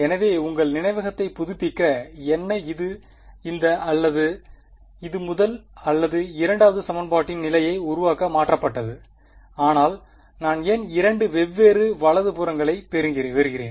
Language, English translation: Tamil, So, what just to refresh your memory what changed to produce either this or this the first or the second equation position of r dash yeah, but why do I get two different right hand sides